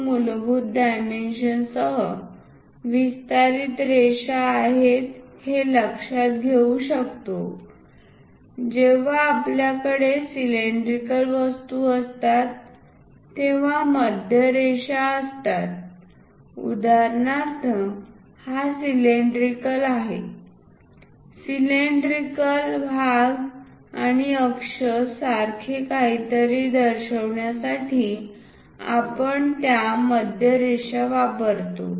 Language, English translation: Marathi, 20 as the basic dimension, here also we can see that there are center lines whenever we have cylindrical objects for example, this is the cylinder, cylindrical portions and would like to represent something like an axis we use that center lines